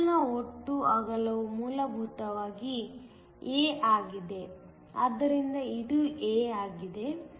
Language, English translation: Kannada, The total width of the channel is essentially a, so this is a